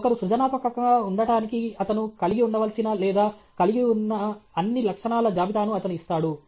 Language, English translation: Telugu, He gives the list of what all qualities one should have or must have qualities in order that somebody is creative